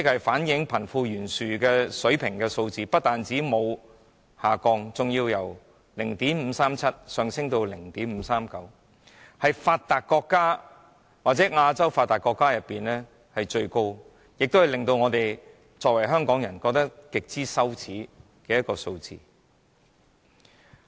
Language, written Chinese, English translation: Cantonese, 反映貧富懸殊水平的堅尼系數不但沒有下降，反而由 0.537 上升至 0.539， 是發達國家或亞洲發達國中最高的，而這亦是香港人感到極為羞耻的數字。, The Gini Coefficient which reflects the disparity between the rich and the poor has not dropped but risen instead from 0.537 to 0.539 the highest among developed countries in Asia in particular . It is a figure which Hong Kong people are ashamed of